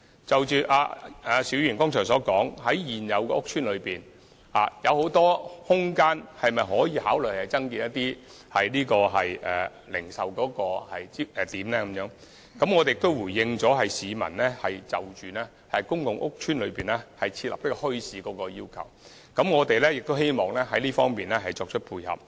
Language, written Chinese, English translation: Cantonese, 就邵議員剛才詢問，現有的屋邨中有很多空間，是否可以考慮增設一些零售點呢？我亦回應了市民希望在公共屋邨內設立墟市的要求，我們亦希望在這方面作出配合。, As regards the question asked by Mr SHIU just now concerning whether we can consider using the existing spaces in public estates for retail purpose I have also replied that we wish to meet the peoples need for more bazaars in public housing estates